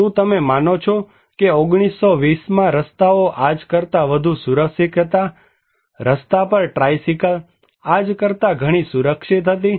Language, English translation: Gujarati, Do you believe in 1920’s, the roads were more safer than today, tricycle on road was much safer than today